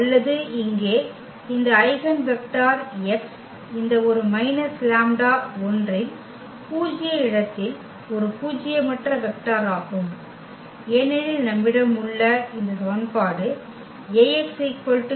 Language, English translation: Tamil, Or, this eigenvector x here is a nonzero vector in the null space of this A minus lambda I, because this equation which we have a is equal to l Ax is equal to lambda x